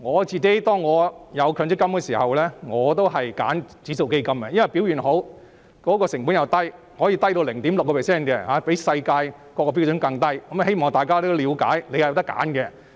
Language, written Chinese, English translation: Cantonese, 在強積金設立後，我選擇了指數基金，因為一來表現好，而且成本低，可以低至 0.6%， 比世界標準更低，我希望大家了解是可以選擇的。, Personally I have put my MPF contributions into index funds since the launch of MPF owing to their good performance and low administration fees . An administration fee of 0.6 % is even lower than the international standard